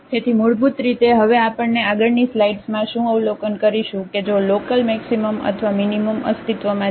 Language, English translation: Gujarati, So, basically what we will observe now in the next slides that if the local maximum or minimum exists